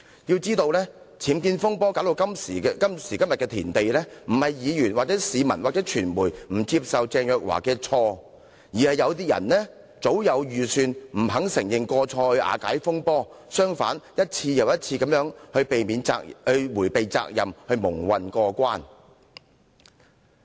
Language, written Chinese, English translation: Cantonese, 須知道，僭建風波弄至今時今日的田地，並非議員、市民或傳媒不肯接受鄭若驊司長所犯的過錯，而是有人早有計算，不肯承認過錯以瓦解這場風波，還一而再地想逃避責任，蒙混過關。, It should be noted that the UBWs fiasco has come to this pass not because Members the general public or the media refused to forgive Ms CHENG but because someone has been very calculating and refused to admit any wrongdoing to calm the storm . Worse still that person has even tried to evade responsibility and muddle through time and again